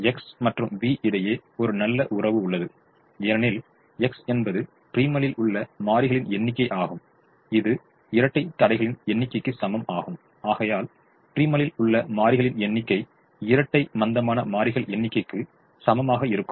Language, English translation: Tamil, and there is a relationship between x and v, because x is the number of variables in the primal, which is equal to the number of constraints in the dual, and therefore the number of variables in the primal will be equal to the number of slack variables in the dual